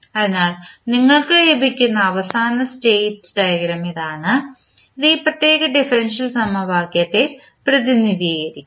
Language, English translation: Malayalam, So, this is the final state diagram which you will get and this will represent these particular differential equation